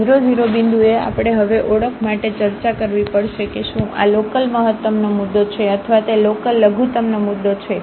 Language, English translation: Gujarati, So, at this 0 0 point, we have to now discuss for the identification whether this is a point of local maximum or it is a point of local minimum